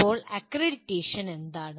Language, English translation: Malayalam, Now, what is accreditation